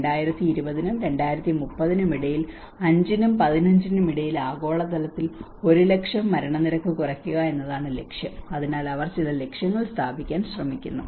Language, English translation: Malayalam, Aiming to lower average per 1 lakh global mortality between 2020 and 2030 compared to 5 and 15 so they are trying to set up some targets